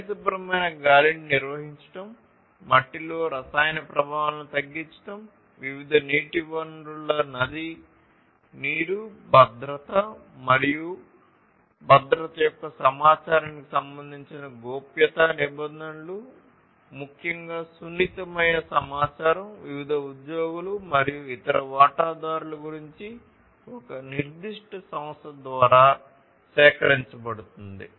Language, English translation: Telugu, Maintaining clean air, reduction of chemical effects in soil, river water of different water bodies and so on, then privacy regulations basically concerned the, you know, the information the safety of safety and security of the information particularly the sensitive information that is collected about the different employees and the different other stakeholders by a particular enterprise